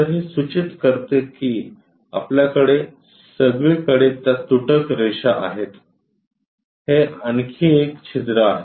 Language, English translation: Marathi, So, that clearly indicates that we have dashed lines throughout that, this is another hole